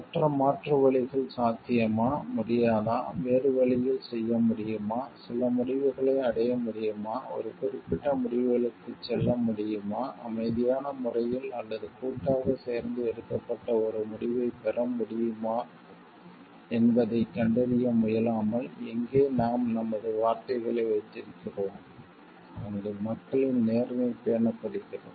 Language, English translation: Tamil, Without trying to find out whether other alternatives are possible or not, whether we can do it in a different, whether we can arrive at certain outcomes, whether we can whether we can go for a certain outcomes, peacefully like or a decision jointly taken respected, where we keep to our words where the integrity of the people are maintained